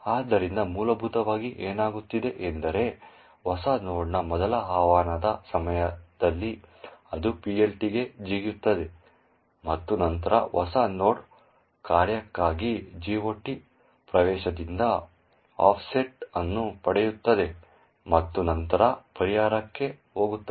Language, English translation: Kannada, So, essentially what is happening is that during the first invocation of new node it jumps into the PLT and then obtains an offset from the GOT entry for that particular function new node and then goes into a resolver